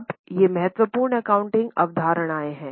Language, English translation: Hindi, Now these are the important accounting concepts